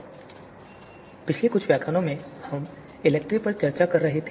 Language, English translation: Hindi, So in previous few lectures, we have been discussing ELECTRE